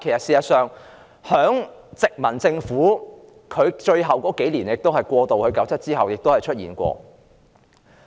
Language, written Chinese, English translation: Cantonese, 事實上，這在殖民地政府過渡1997年之前的最後數年亦曾經出現。, In fact the same also happened in the last few years of the colonial government in the run - up to 1997